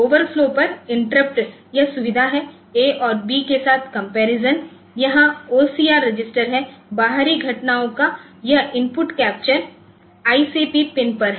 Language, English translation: Hindi, So, interrupt on overflow that feature is there comparison with A and B here OCR registered so that is there and this input capture of external events is on ICP pin